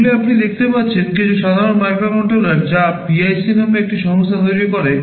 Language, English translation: Bengali, You can see these are some typical microcontrollers that are manufactured by a company called PIC